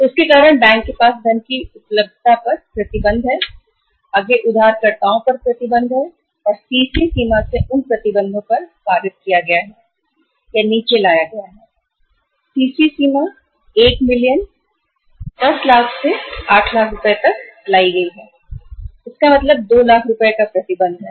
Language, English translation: Hindi, And because of that restrictions on the availability of the funds with the banks, banks have further passed on those restrictions to the borrowers and CC limits are restricted from the or brought down, CC limit is brought down from the 1 million, 10 lakh to the 8 lakh rupees